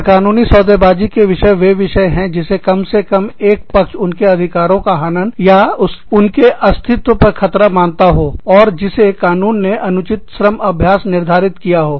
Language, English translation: Hindi, Illegal bargaining topics are topics, that at least one party, considers as an infringement of their rights, or detrimental to their existence, and that the law determines are, unfair labor practice